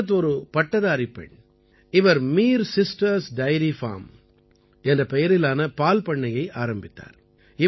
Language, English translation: Tamil, Ishrat, a graduate, has started Mir Sisters Dairy Farm